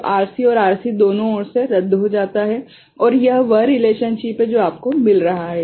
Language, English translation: Hindi, So, the RC and RC in the either side cancels out and this is the relationship that you are getting